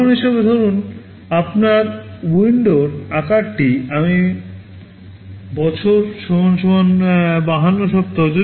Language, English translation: Bengali, As an example, suppose your window size is I year = 52 weeks